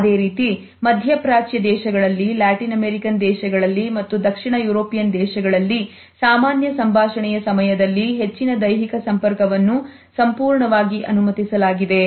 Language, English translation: Kannada, In the same way we find that in Middle East in Latin American countries and in Southern European countries also a lot more physical contact during normal conversations is perfectly permissible